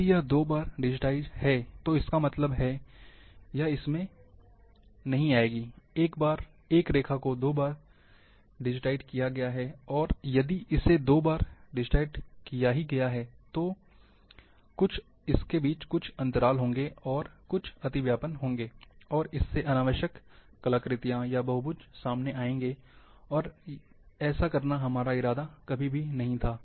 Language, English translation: Hindi, If it is digitized twice; that means, it will fall in this one, a line is been digitized twice, and if it is digitized twice, there will be some gaps, and there will be some overlaps, and this will bring artifacts, or unnecessary polygons, which we never intended